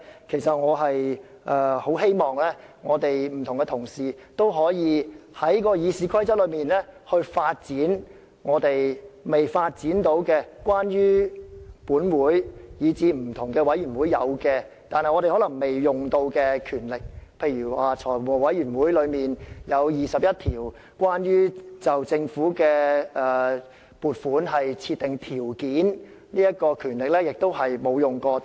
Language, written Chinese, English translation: Cantonese, 其實我十分希望不同同事均可開發《議事規則》賦予我們在本會以至不同委員會既有而尚未使用的權力，例如財務委員會有21項關乎就政府撥款設定條件的權力是從未使用的。, In fact I earnestly hope that colleagues will explore the powers vested in us by RoP but have yet to be exercised in this Council as well as various committees . For instance there are 21 ways for the Finance Committee to exercise powers to specify terms and conditions in granting funding provisions to the Government